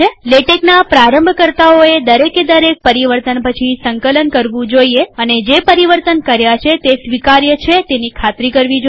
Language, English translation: Gujarati, Beginners of latex should compile after each and every change and ensure that the changes they have made are acceptable